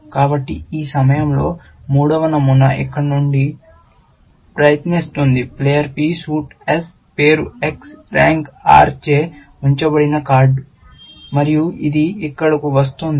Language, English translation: Telugu, So, in this rule, the third pattern is flowing from here; card held by player P suit S name X rank R, and its coming here